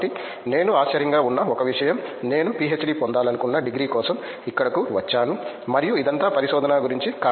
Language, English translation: Telugu, So, one thing that I found surprising okay I came here for a degree I wanted to get a PhD and it was all about research